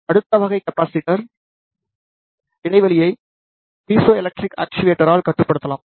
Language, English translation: Tamil, Next type of capacitor gap can be controlled by the piezoelectric actuator